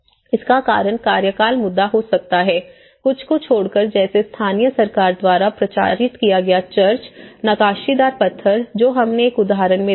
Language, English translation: Hindi, It could be because of tenure issues except, for a few promoted by the local government such as church a carved stone, example we see